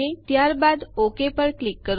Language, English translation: Gujarati, Now click on the OK